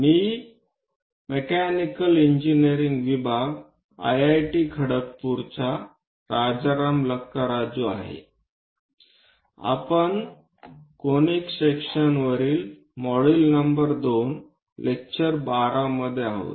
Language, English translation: Marathi, I am Rajaram Lakkaraju from Mechanical Engineering IIT Kharagpur; we are in module number 2 lecture 12 on Conic Sections